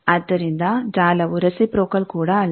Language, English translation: Kannada, So, the network is not reciprocal also